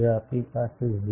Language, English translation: Gujarati, If we have a spacing of 0